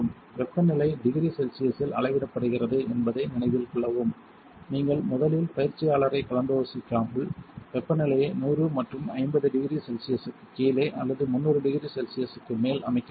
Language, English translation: Tamil, Note that the temperature is measured in degree Celsius you should set the temperature below hundred and 50 degree Celsius or above 300 degree Celsius without first consulting the trainer